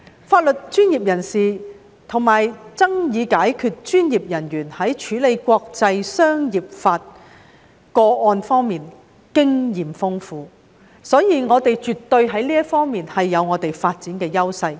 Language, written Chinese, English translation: Cantonese, 法律專業人士及爭議解決專業人員在處理國際商業法個案方面經驗豐富，所以我們在這方面絕對有發展的優勢。, With legal and dispute resolution professionals well experienced in handling international commercial law cases we definitely have a developmental advantage in this area